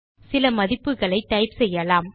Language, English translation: Tamil, Let us type some values